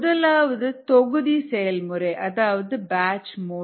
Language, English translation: Tamil, the first one is a batch operation